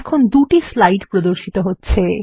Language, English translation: Bengali, Notice, that two slides are displayed now